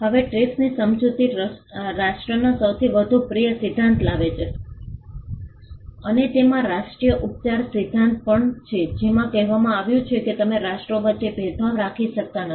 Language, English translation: Gujarati, Now the TRIPS agreement brought in the most favoured nation principle and it also had the national treatment principle in it which said that you cannot discriminate between nations